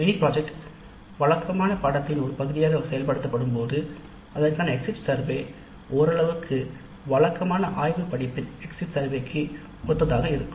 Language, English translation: Tamil, When the mini project is implemented as a part of a regular course, exit survey to some extent is similar to the exit survey for a laboratory component of a regular close